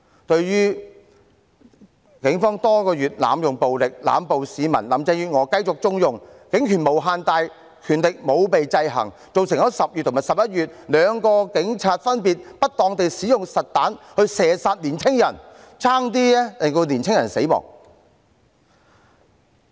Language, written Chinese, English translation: Cantonese, 對於警方多個月來濫用暴力、濫捕市民，林鄭月娥繼續縱容，警權無限大，權力沒有被制衡，造成在10月和11月有兩名警員分別不當地使用實彈射殺年青人，險些令年青人死亡。, Carrie LAM continued to condone police brutality and arbitrary arrests over the months . The power of the Police is unlimited and unrestrained . As a result young people were almost killed with live rounds fired by two police officers in October and November respectively